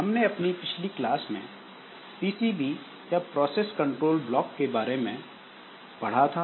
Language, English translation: Hindi, So, in our last class we have discussed something about the PCBs, the process control blocks